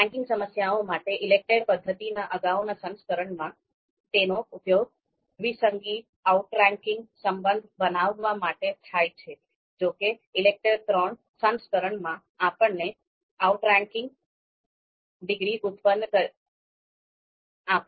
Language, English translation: Gujarati, So ELECTRE II, the previous version of ELECTRE method for ranking problems, it you know used to you know it used to produce you know a binary outranking relation; however, in the ELECTRE III version, we produced outranking degrees